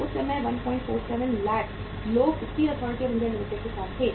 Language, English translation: Hindi, 47 lakh people were there at that time with the Steel Authority of India Limited